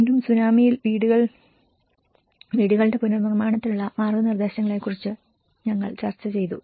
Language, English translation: Malayalam, And again, we did discussed about the guidelines for reconstruction of houses in tsunami